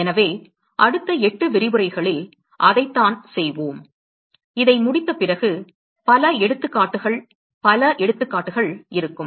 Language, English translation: Tamil, So, that is what we will sort of do in next 8 lectures, after we finish this, there will be several examples several examples that we will go through